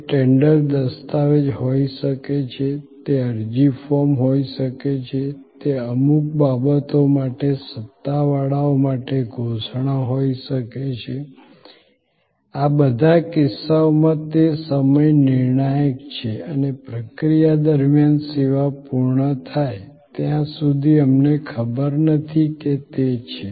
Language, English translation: Gujarati, It could be a tender document, it could be an application form, it could be a declaration to authorities for certain things, in all these cases it is time critical and during the process, till the service is completed, we do not know is it happening on time, am I going to be ok with the last date for this application